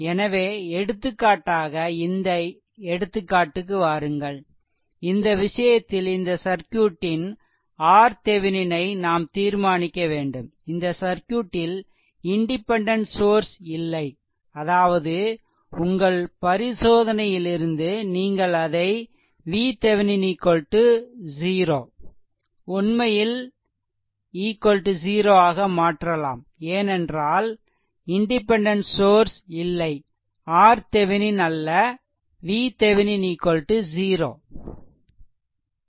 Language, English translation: Tamil, So, come back to this example for example, in this case we have to determine your determine R R Thevenin right for this circuit, for look at that circuit there is no independent source in this circuit; that means, from your inspection you can make it that R Thevenin actually is equal to 0, because there is no independent sorry not R Thevenin sorry V Thevenin is equal to 0 right not R Thevenin V Thevenin is equal to 0 right